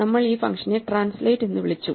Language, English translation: Malayalam, This function we called translate